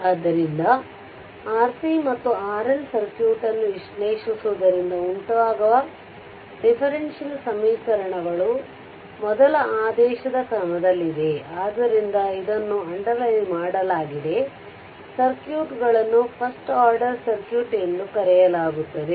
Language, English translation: Kannada, So, the differential equations resulting from analyzing R C and R L circuit, that is your the differential equation resulting analyzing that R C and R L circuits are of the first order right hence it is underlined the circuits are known as first order circuits